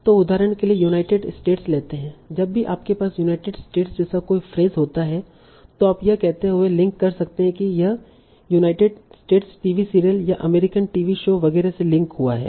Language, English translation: Hindi, So, United States, for example, whenever you have a phrase like United States, you may have a link saying it is linking to the United States TV serial or American TV show, etc